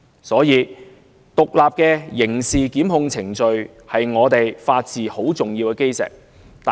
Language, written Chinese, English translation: Cantonese, 所以，獨立的刑事檢控程序是法治的基石，十分重要。, Therefore independent criminal prosecution procedures are a cornerstone of the rule of law highly important to us